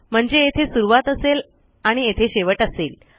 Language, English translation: Marathi, So this will be the start and this will be our end